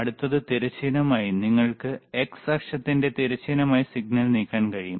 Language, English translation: Malayalam, , hHorizontal next one, horizontal you can move the signal in a horizontal of the x axis, right